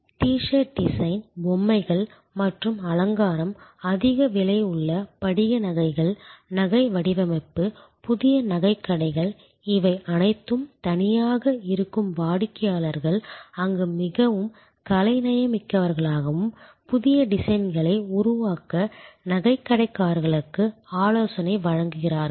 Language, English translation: Tamil, T shirt design, toys and decoration, high price crystal jewelry, jewelry design, jewelers new, all alone that there where customers who were quite artistic and they advice the jeweler to create new designs